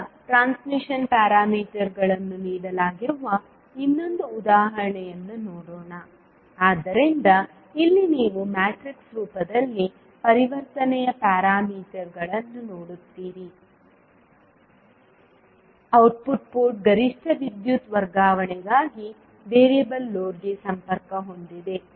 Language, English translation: Kannada, Now, let us see another example where the transmission parameters are given, so here you see the transition parameters in the matrix form, the output port is connected to a variable load for maximum power transfer